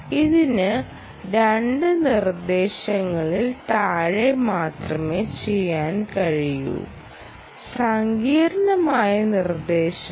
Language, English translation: Malayalam, it can do less than one, two instructions, and this is complex instructions